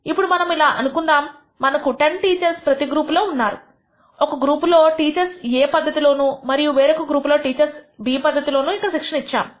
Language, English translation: Telugu, Now, let us actually we assumed that we have 10 teachers in each group you have given training for one group of teachers using method A and another group of teachers using method B